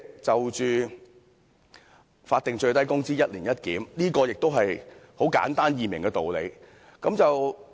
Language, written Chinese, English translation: Cantonese, 就法定最低工資"一年一檢"，這也是很簡單易明的道理。, Concerning the proposal for review of the statutory minimum wage rate once every year the reason is also easy to understand